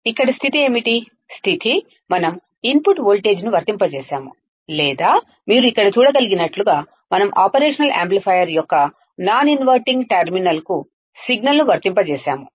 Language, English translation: Telugu, Here, what is the case, the case is that we have applied the input voltage or we applied the signal to the non inverting terminal of the operational amplifier as you can see here right